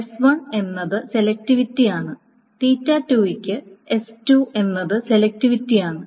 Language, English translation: Malayalam, So for theta 1, s1 is the selectivity, for theta 2 is the selectivity, so on and so forth